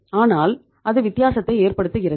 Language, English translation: Tamil, But that makes the difference